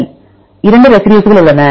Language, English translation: Tamil, Right so there are 2 residues